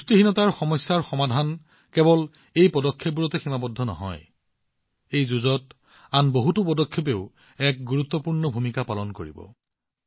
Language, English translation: Assamese, The solution to the malady of malnutrition is not limited just to these steps in this fight, many other initiatives also play an important role